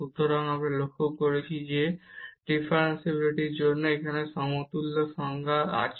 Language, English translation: Bengali, So, we have observed now that for the differentiability we have the equivalent definition here